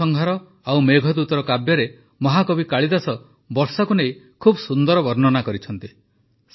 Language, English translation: Odia, In 'Ritusanhar' and 'Meghdoot', the great poet Kalidas has beautifully described the rains